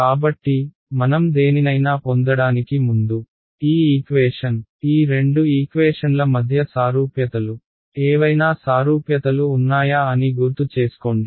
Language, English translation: Telugu, So, before we get into anything does this equation remind what are the similarities between these two equations are any similarities